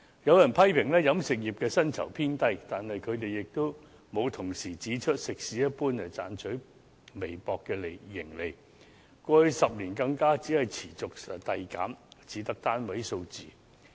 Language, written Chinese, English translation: Cantonese, 有人批評飲食業的薪酬偏低，但他們沒有同時指出，食肆一般只賺取微薄利潤，過去10年更持續遞減，只得單位數字。, Some people have criticized that wages in the catering industry are on the low side but they have not pointed out in tandem that the catering establishments generally made only a meagre profit and worse still over the past decade their profit has decreased continually and recorded only a single - digit figure